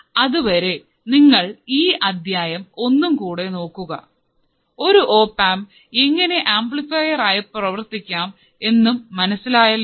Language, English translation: Malayalam, So, till then you just look at the whole lecture, where you have understood how the opamp can be used as an amplifier